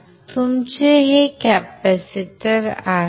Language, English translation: Marathi, So, this is your capacitor